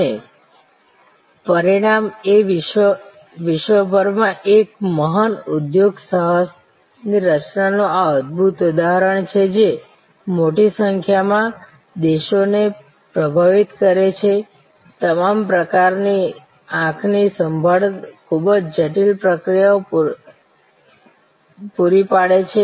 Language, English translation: Gujarati, And the result is this fantastic example of creation of a great enterprise across the world influencing large number of countries providing all kinds of eye care very intricate processes